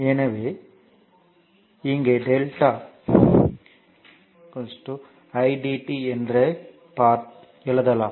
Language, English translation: Tamil, So, here we are writing delta eq is equal to i into dt right